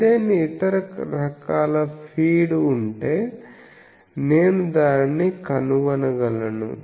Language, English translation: Telugu, If any other type of feed, I can find that